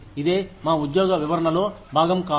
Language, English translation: Telugu, It is not part of our job description